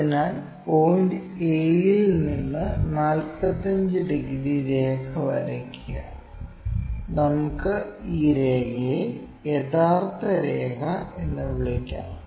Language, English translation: Malayalam, So, from point a draw a line of 45 degrees, this one 45 degrees and let us call this line as true line